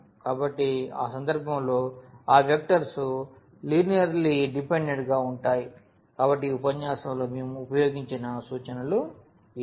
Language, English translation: Telugu, So, in that case those vectors will be linearly dependent; so, these are the references we have used in this lecture